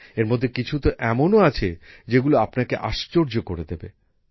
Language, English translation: Bengali, Some of these are such that they will fill you with wonder